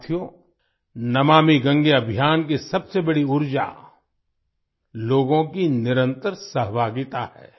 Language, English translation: Hindi, Friends, the biggest source of energy behind the 'Namami Gange' campaign is the continuous participation of the people